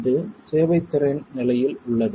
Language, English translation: Tamil, This is under serviceability conditions